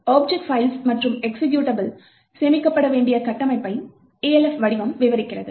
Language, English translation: Tamil, Elf format describes a structure by which object files and executables need to be stored